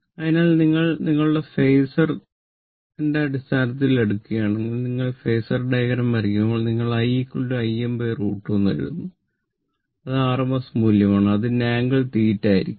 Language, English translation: Malayalam, So, if you take in terms of your, what you call in the phasor that, when you draw the phasor diagram, so generally we can write i is equal to I m by root 2 that rms value, and its angle will be 0 degree